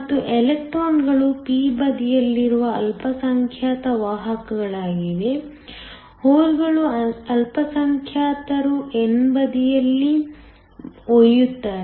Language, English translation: Kannada, And, electrons are the minority carriers in the p side; holes are the minority carries on the n side